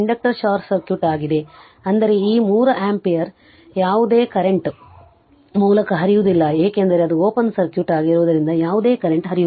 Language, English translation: Kannada, So, it is short circuit inductor is short circuit; that means, this 3 ampere there is no current is flowing through 3 ampere because it is open circuit right no current is flowing